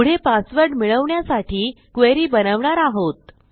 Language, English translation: Marathi, Next we will create a query to get the passwords